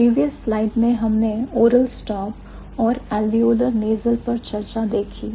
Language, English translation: Hindi, So, in the previous slide we saw the discussion about oral stop and alveolar nasal